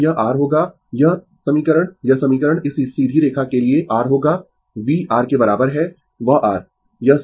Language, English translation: Hindi, So, it will be your this equation this equation for this straight line will be your V is equal to your that your